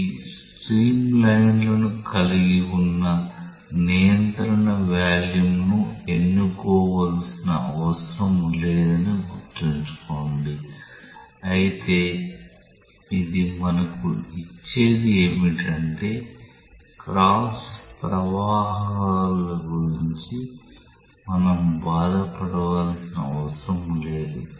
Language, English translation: Telugu, Keep in mind that these it is not necessary to choose a control volume which contain streamlines, but only elegance it gives to us is that we do not have to bother about the cross flows